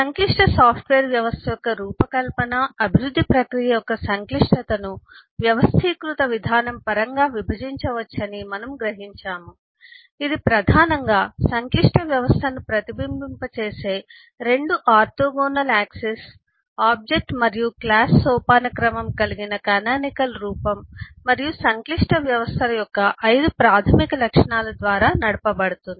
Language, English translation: Telugu, we did discuss in the last module about how we can handle complexity and eh we observe that eh the complexity of the design development process of a complex software system can be divided in terms of organized approach, which is primarily driven by a canonical form comprising the object and class hierarchy, the 2 orthogonal dimensions of representation in eh a complex system and the 5 basic attributes of the complex systems